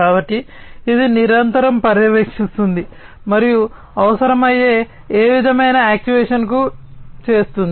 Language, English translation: Telugu, So, this will continuously monitor, and do any kind of actuation that might be required